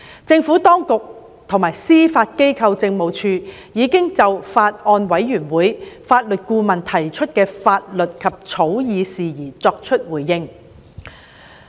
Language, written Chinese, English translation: Cantonese, 政府當局及司法機構政務處已就法案委員會法律顧問提出的法律及草擬事宜作出回應。, The Administration and the Judiciary Administration have responded to the legal and drafting issues raised by the Legal Adviser to the Bills Committee